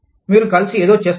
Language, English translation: Telugu, You do something together